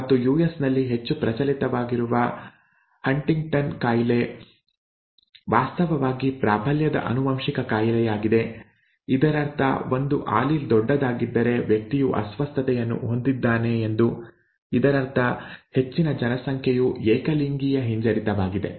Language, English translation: Kannada, And HuntingtonÕs disease which is so prevalent in the US is actually a dominantly inherited disorder which means if one allele is capital then the person has the disorder which also means that most of the population is homozygous recessive, okay